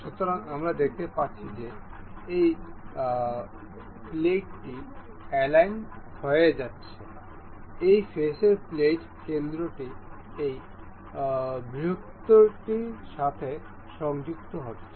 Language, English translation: Bengali, So, we can see the this plate is getting aligned, the plate center of this face is getting aligned to this larger one